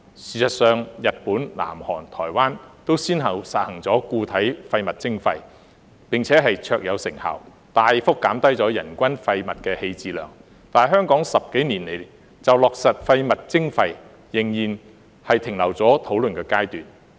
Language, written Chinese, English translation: Cantonese, 事實上，日本、南韓、台灣都先後實行了固體廢物徵費，並且卓有成效，大幅減低了人均廢物棄置量，但香港十多年來就落實廢物徵費，仍然停留在討論階段。, As a matter of fact Japan South Korea and Taiwan have implemented solid waste charging with great success one after another substantially reducing the per capita waste disposal but the implementation of waste charging in Hong Kong has remained at the discussion stage for more than a decade